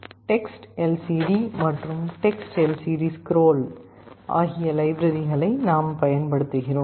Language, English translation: Tamil, We shall be using these 2 libraries TextLCD and TextLCDScroll